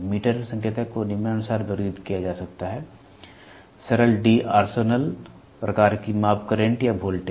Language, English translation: Hindi, Meter indicators can be categorized as follows; simple D’Arsonval type of measure current or voltage type of measure current or voltage